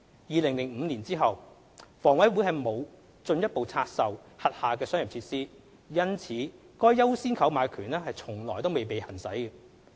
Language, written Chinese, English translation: Cantonese, 2005年後，房委會沒有進一步拆售轄下商業設施，因此該"優先購買權"從未被行使。, Since 2005 HA has not further divested its commercial facilities and thus the right of first refusal has never been exercised